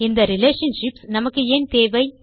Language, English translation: Tamil, But why do we need relationships